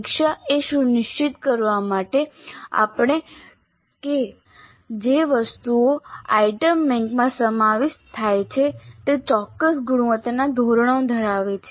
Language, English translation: Gujarati, The review would be to ensure that the items which get included in the item bank have certain quality standards